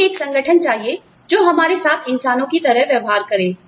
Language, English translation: Hindi, We need an organization, that treats us like human beings